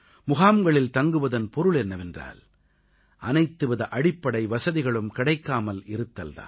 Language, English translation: Tamil, Life in camps meant that they were deprived of all basic amenities